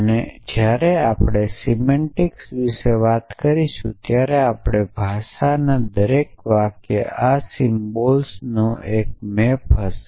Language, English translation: Gujarati, And when we talk about semantics then every sentence in our language will be map to one of these symbols